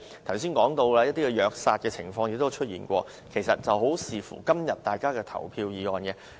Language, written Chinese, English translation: Cantonese, 剛才說到，還有一些虐殺動物的情況，問題如何解決，其實很視乎今天大家的投票意向。, We have also talked about cases of animals being abused and killed . The solution to the problem very much depends on how our colleagues vote today